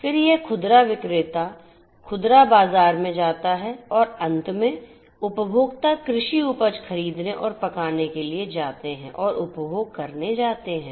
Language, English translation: Hindi, Then it goes to the retailer, the retail market and finally, the consumers are going to buy and cook the produce the agricultural produce and they are going to consume